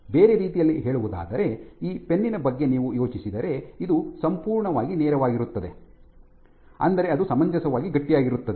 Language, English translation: Kannada, In other words if you think of this pen here this is completely straight, which means it is reasonably stiff